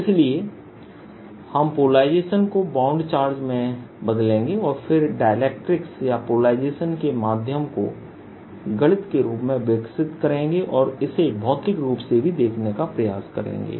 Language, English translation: Hindi, so we will translate polarization into bound charges and then develop in mathematics of dealing with dielectrics or polarizable medium and try to see it physically also